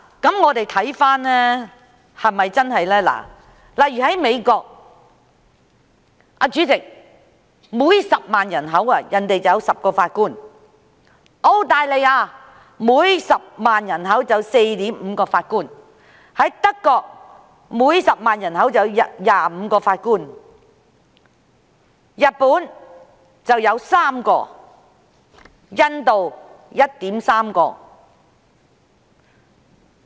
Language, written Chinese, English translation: Cantonese, 讓我們看看這是否屬實，例如在美國，主席，當地每10萬人口便有10名法官；在澳大利亞，每10萬人口有 4.5 名法官；在德國，每10萬人口有25名法官；日本有3名；印度是 1.3 名。, Let us look at whether this is true . For instance in the United States President there are 10 Judges per 100 000 population; in Australia there are 4.5 Judges per 100 000 population; in Germany the number of Judges per 100 000 population is 25 compared to 3 and 1.3 in Japan and India respectively